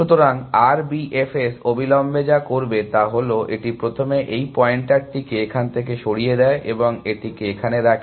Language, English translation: Bengali, So, what immediately R B F S will do is, it first removes this pointer from here, and put it to this